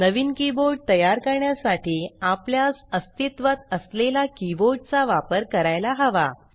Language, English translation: Marathi, To create a new keyboard, we have to use an existing keyboard